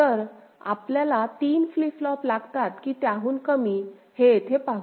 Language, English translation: Marathi, So, here let us see whether we require 3 flip flops or less ok